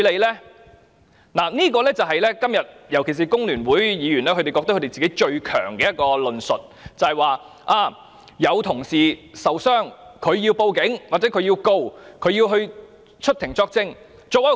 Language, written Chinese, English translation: Cantonese, "今天，多位議員尤其是香港工會聯合會的議員，認為他們最強大的一個論述，就是有同事受傷，所以要報案、檢控或出庭作證。, Today a number of Members especially Members of the Hong Kong Federation of Trade Unions consider it most compelling to argue that as a colleague was injured it is therefore necessary for the case to be reported to the Police for charges to be laid or for evidence to be given in court